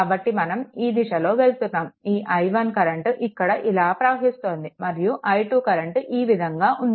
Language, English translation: Telugu, So, we are moving like this so, this i 1 current is flowing here and here i 2 is like this right